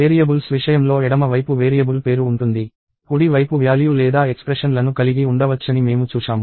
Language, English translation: Telugu, So, we saw that, we can have left hand side variable name, right hand side value or expressions for variables